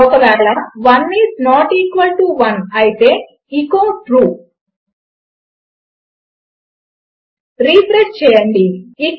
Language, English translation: Telugu, So if 1 is not equal to 1 echo True Refresh